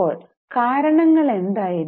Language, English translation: Malayalam, Now, what were the reasons